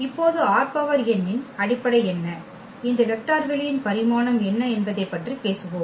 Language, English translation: Tamil, Now, we will talk about what are the basis of R n and what is the dimension of this vector space R n